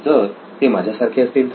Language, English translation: Marathi, What if they are like me